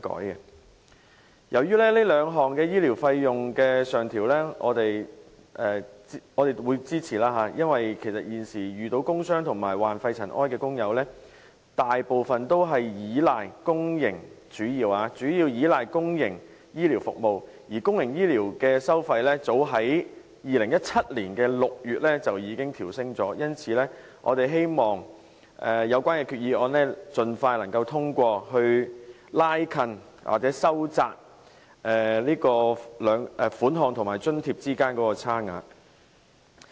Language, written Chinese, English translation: Cantonese, 對於該兩項醫療費用的上調，我們表示支持，因為現時遇到工傷及患肺塵埃沉着病的工友，大部分均主要依賴公營醫療服務，而公營醫療服務的收費，早在2017年6月調升了，因此我們希望有關決議案能夠盡快通過，以收窄有關收費和津貼之間的差距。, We support the increase in the rates of medical expenses under the two motions because most workers suffering from work injuries and pneumoconiosis rely mainly on public health care services at present . Public health care service charges were raised as early as June 2017 . Therefore we hope that the resolutions concerned can be passed as soon as possible to narrow the discrepancy between the relevant charges and subsidies